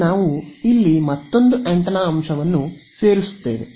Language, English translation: Kannada, So, what we will do is now we will add another antenna element over here ok